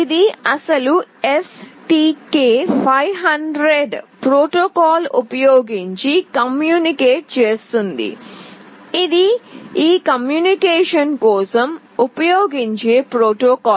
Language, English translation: Telugu, It communicates using the original STK500 protocol, this is a protocol that is used for this communication